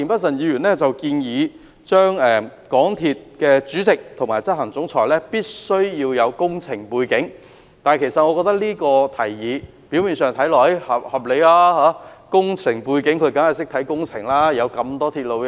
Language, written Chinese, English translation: Cantonese, 田議員建議港鐵公司主席及行政總裁必須具備工程背景，我覺得此提議表面上合理，擁有工程背景的人一定懂得監察工程。, Mr TIEN suggests that the Chairman and the Chief Executive Officer of MTRCL should have an engineering background . I think the suggestion is reasonable because people with an engineering background should know how to monitor a works project